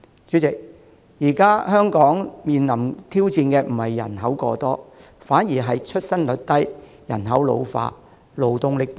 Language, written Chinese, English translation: Cantonese, 主席，現時香港面臨的挑戰不是人口過多，反而是出生率低、人口老化和勞動力不足。, President overpopulation is not a challenge facing Hong Kong now . Instead the challenges are low birth rate the ageing population and insufficient labour supply